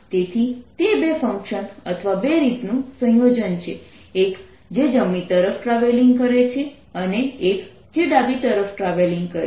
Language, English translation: Gujarati, so it's a combination of two functions or two ways: one which is travelling to the right and one which is travelling to the left